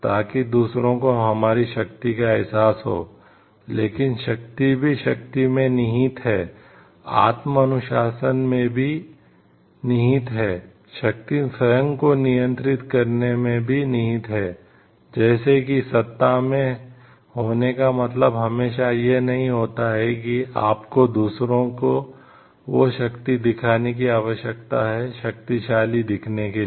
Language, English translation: Hindi, So, that others get to realize our power, but the power also lies in power also lies in self discipline, power also lies in having a control on oneself like you having power does not always mean like you need to show that power to others to appear powerful